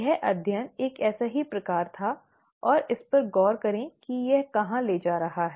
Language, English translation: Hindi, This study was one such kind and look at where it has led to